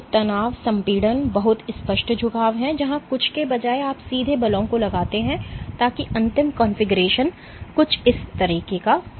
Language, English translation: Hindi, So, tension, compression is very clear bending is where instead of something straight you exert forces so that the final configuration is something like this